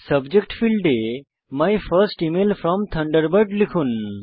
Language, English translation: Bengali, Now, in the Subject field, type My First Email From Thunderbird